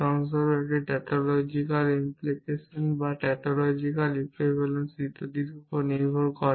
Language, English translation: Bengali, For example, it is based on tautological implications or tautological equivalences and so on